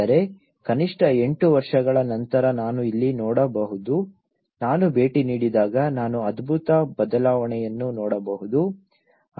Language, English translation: Kannada, I mean, I can see here at least after eight years, when I visited I could see a tremendous change